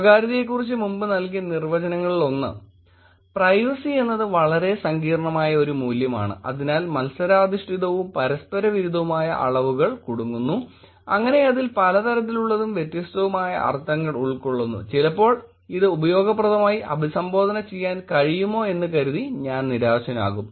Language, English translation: Malayalam, One of the definitions that was given earlier about privacy was that “Privacy is a value so complex, so entangle in competing and contradictory dimensions, so engorged with various and distinct meanings, that I sometimes despair whether it can be usefully addressed at all